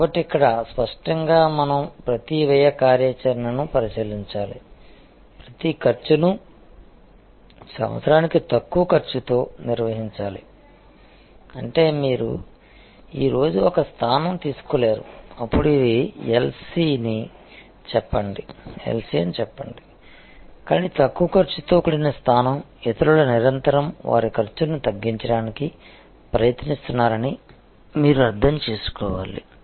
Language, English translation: Telugu, So, here; obviously, we have to scrutinize each cost activity, manage each cost lower year after year; that means, it is not you cannot take a position today then say this is LC, but a Low Cost position, you have to understand that others are constantly trying to lower their cost